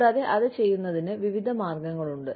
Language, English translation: Malayalam, And, there are various ways, of doing it